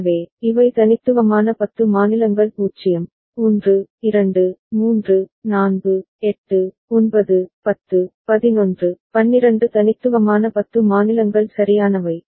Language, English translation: Tamil, So, these are unique ten states 0, 1, 2, 3, 4, 8, 9, 10, 11, 12 unique 10 states right